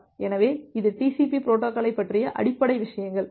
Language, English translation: Tamil, So, that is the basic things about the TCP protocol